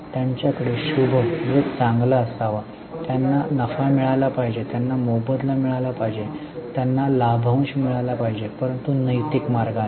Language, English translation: Marathi, They should have lab, they should have profits, they should have remuneration, they should have dividends but in a ethical manner